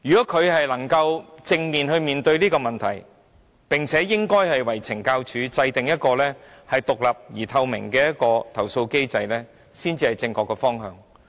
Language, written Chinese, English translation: Cantonese, 他要正視這問題，為懲教署制訂獨立而透明的投訴機制，這才是正確的方向。, He must squarely address this problem and formulate an independent and transparent redress mechanism for CSD . This is rather the correct direction